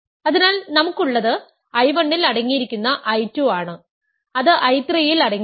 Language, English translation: Malayalam, So, what we have is I 1 contained in I 2 contained in I 3 contained in I n contained in I n plus 1 and so on